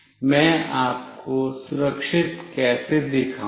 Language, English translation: Hindi, How do I show you the secure one